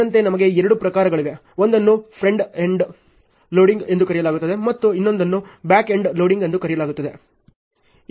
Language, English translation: Kannada, Accordingly we have two types one is called frond end loading and the other one is called back end loading ok